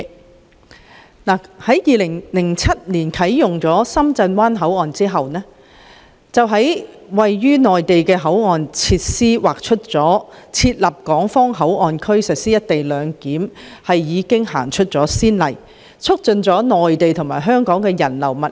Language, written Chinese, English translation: Cantonese, 當深圳灣口岸於2007年啟用時，當局在位於內地的口岸設施劃設港方口岸區實施"一地兩檢"，為有關安排立下先例，促進了內地與香港之間的人流物流。, When the Shenzhen Bay Port was commissioned in 2007 an HKPA was set up at the boundary facilities located in the Mainland for implementing co - location arrangement thus setting a precedent for the arrangement and facilitating the flow of people and goods between the Mainland and Hong Kong